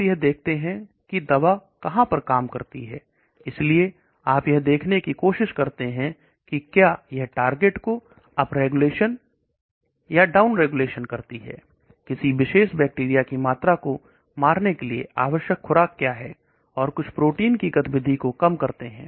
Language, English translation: Hindi, In phase 2, you look at where the drug goes on acts, so you try to look at whether there is up regulation and down regulation of the target, what is the dosage required to kill a particular amount of bacteria or reduce the activity of some protein